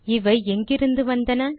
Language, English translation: Tamil, Where do these come from